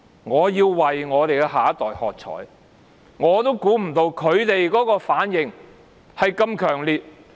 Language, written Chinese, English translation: Cantonese, 我要為我們的下一代喝采，我也估計不到他們的反應如此強烈。, I have to cheer for our next generation . I did not expect their reaction to be so strong